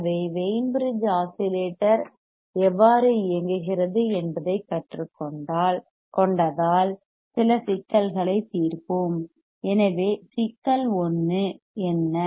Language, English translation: Tamil, So, if that is the case if we learn how the Wein bridge is oscillator operates then let us solve some problems right let us solve some problems